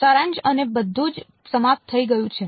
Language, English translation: Gujarati, The summation and all are all over